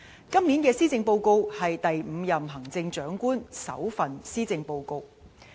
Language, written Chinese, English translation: Cantonese, 今年的施政報告是第五任行政長官的首份施政報告。, The Policy Address this year is the maiden policy address of the fifth Chief Executive